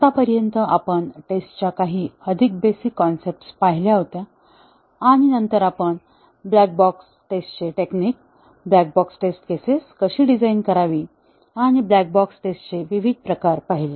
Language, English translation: Marathi, So far, we had looked at some very basic concepts of testing and then, later we looked at black box testing techniques, how to design black box test cases and different types of black box testing